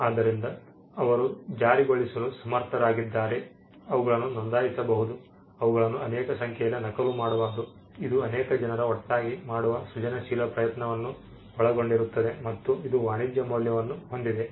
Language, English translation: Kannada, So, they are capable of being enforced they can be registered they can be duplicated reproduced in many numbers, it involves effort to create them a creative effort sometime by many people put together and it has commercial value